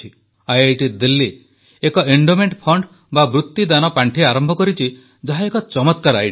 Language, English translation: Odia, IIT Delhi has initiated an endowment fund, which is a brilliant idea